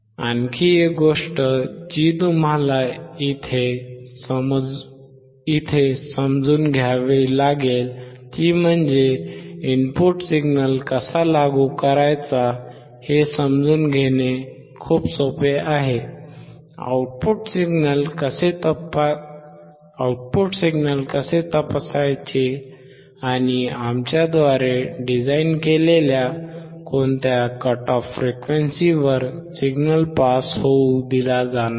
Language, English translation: Marathi, Another thing that you have to understand here is that it is very easy to understand how to apply the input signal; how to check the output signal; and at what cut off frequency designed by us the signal will not allowed to be passed